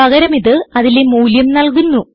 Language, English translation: Malayalam, Instead it will give the value